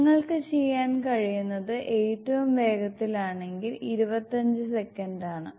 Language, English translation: Malayalam, And fast as you can do is 25 seconds